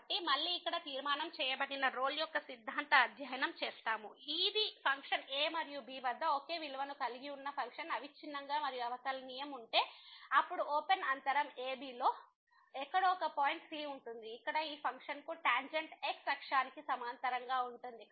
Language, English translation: Telugu, So, again the conclusion here we have a studied the Rolle’s Theorem which says that if the function is continuous and differentiable having the same value at this and , then there will be a point somewhere in the open interval ,b), where the tangent to this function will be parallel to the axis